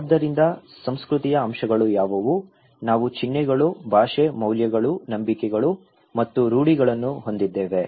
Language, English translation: Kannada, So, what are elements of culture; we have symbols, language, values, beliefs and norms